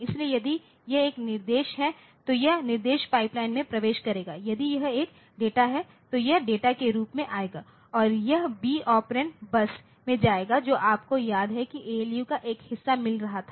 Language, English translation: Hindi, So, if it is an instruction so, it will enter into the instruction pipeline, if it is a data it will go to the data it will come as data in and it will go to the B operand bus B operand bus you remember that that was a part of the ALU ALU was getting a bus and B bus, so, this is the B bus